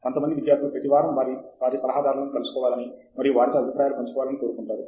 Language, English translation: Telugu, Some students would like to see their advisors every week and share